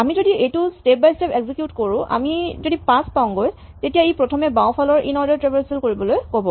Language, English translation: Assamese, So, if we execute this step by step, 5 if we reach it says first do an inorder traversal of the left